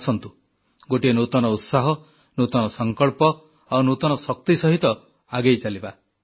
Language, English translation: Odia, Come, let us proceed with a new zeal, new resolve and renewed strength